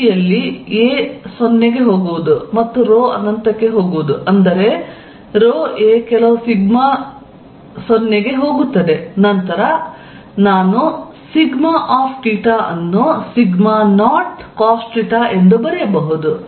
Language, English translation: Kannada, In the limit of a going to 0 and rho going to infinity, such that rho a goes to some sigma 0 I can write sigma theta as sigma 0 cosine of theta